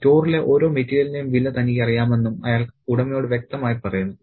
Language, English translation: Malayalam, And he also tells the owner very clearly that he knows the price of each and every single material in the store